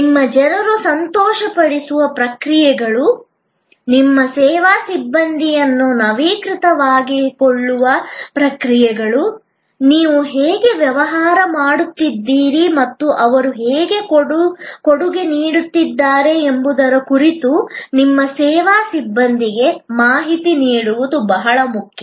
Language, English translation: Kannada, It is very important that you pay equal attention to the processes that make your people happy, processes that keep your service personnel up to date, keep your service personnel informed about how you are business is doing and how they are contributing